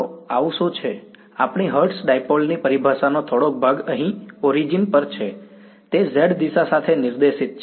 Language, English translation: Gujarati, So, what is so, the little bit of terminology our hertz dipole is here sitting at the origin, it is pointed along the z hat a z direction